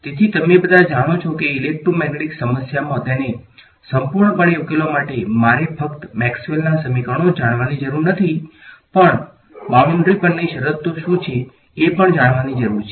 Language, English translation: Gujarati, So, all of you know that in the electromagnetics problem to solve it fully; I need to not just know the equations of Maxwell, but also what are the conditions on the boundary ok